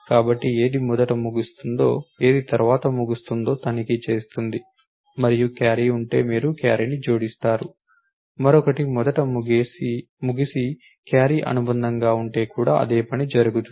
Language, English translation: Telugu, So, it check which one ends first which one ends later and if there is a carry you add the carry also same thing is done for if the other one ended first and the carry is append